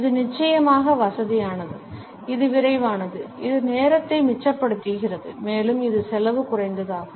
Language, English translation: Tamil, It is convenient of course, it is quick also it saves time and it is cost effective also